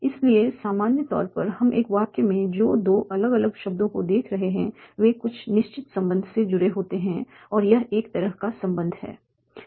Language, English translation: Hindi, So in general, what we are seeing, two different words in a sentence are connected by certain relation